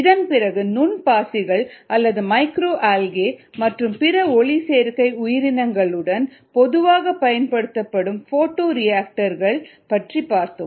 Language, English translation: Tamil, then also a photo bioreactor that's typically used with micro algae and other photosynthetic organisms